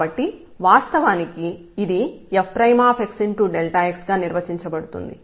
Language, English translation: Telugu, So, originally this was defined as a f prime x delta x